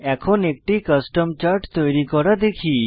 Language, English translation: Bengali, Now, lets learn how to create a Custom chart